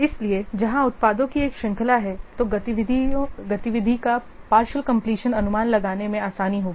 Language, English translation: Hindi, So, where there is a series of products, partial completion of activity is easier to estimate